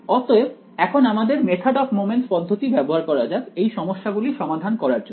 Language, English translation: Bengali, So, now let us use our method of moments approach to solve these problems ok